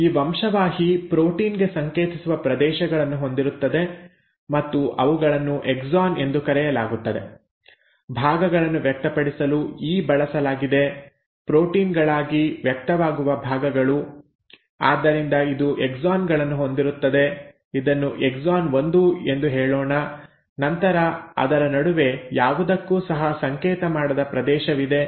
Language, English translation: Kannada, Now this gene will have regions which actually code for a protein so they are called the “exons”; E for expressing parts, the parts which get expressed into proteins; so it will have exons, let us say this is exon 1 and then, in between it has a region which does not code for anything